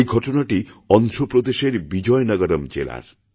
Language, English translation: Bengali, This happened in the Vizianagaram District of Andhra Pradesh